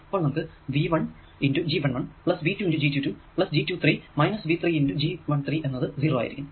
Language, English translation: Malayalam, and right: v one plus v two times minus one minus g two, three r m plus v three times g two, three r m, to be equal to zero